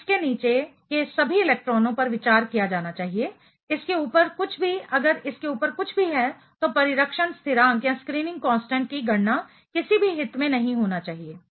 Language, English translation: Hindi, So, all the electrons below this should be considered, anything above it if there is anything above it should not be of any interest for calculating the shielding constant